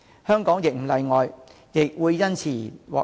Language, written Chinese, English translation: Cantonese, 香港亦不例外，亦會因而獲益。, Hong Kong is no exception . We will also benefit from it